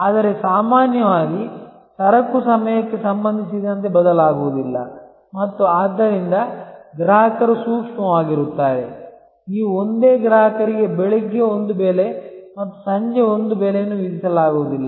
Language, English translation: Kannada, But, normally goods do not vary with respect to time and therefore, customers are sensitive, you cannot charge the same customer one price in the morning and one price in the evening